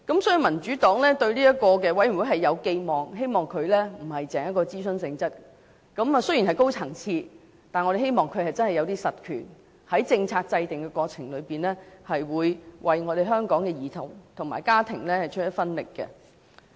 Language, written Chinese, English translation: Cantonese, 所以，民主黨對這個委員會有寄望，希望不單是屬諮詢性質，而雖然會是一個高層次的委員會，但我們希望它真的有一些實權，在政策制訂的過程中，會為香港的兒童和家庭出一分力。, Therefore the Democratic Party has expectations for the Commission . We hope that it is more than an advisory body and even though it will be set up as a high - level committee we hope that it will really have substantive powers so that in the course of policy formulation it will make contribution to children and families in Hong Kong